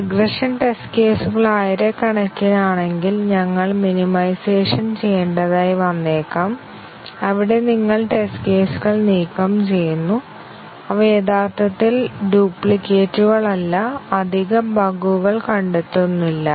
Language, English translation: Malayalam, If the regression test cases are too many thousands then we might need to do minimization, where we remove test cases which you do not really they are kind of duplicates and they do not really detect additional bugs